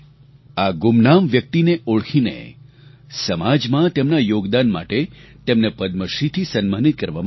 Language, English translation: Gujarati, Identifying her anonymous persona, she has been honoured with the Padma Shri for her contribution to society